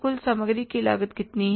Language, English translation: Hindi, Total, factory cost is how much